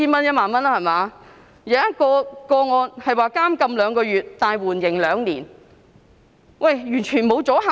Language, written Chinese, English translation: Cantonese, 有一宗個案，刑罰是監禁兩個月但緩刑兩年，完全沒有阻嚇力。, There was a case in which the sentence was imprisonment of two months suspended for two years thus producing no deterrent effect at all